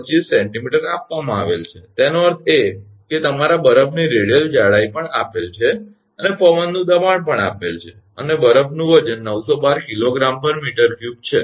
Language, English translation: Gujarati, 25 centimeter; that means, your ice radial thickness is also given wind pressure is also given and weight of the ice is 912 kg per meter cube